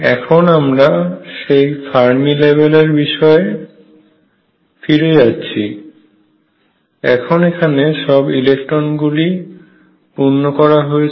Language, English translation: Bengali, Going back to that Fermi level being filled now these electrons being filled